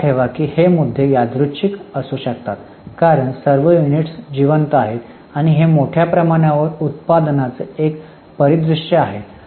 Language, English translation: Marathi, Keep in mind actually the issues may be random because all the units are alike and this is a scenario of mass production